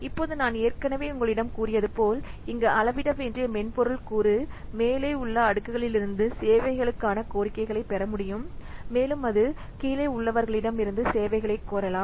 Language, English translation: Tamil, So now as I have already told you that here, the software component that has to be sized can receive requests for services from layers above and it can request services from those below it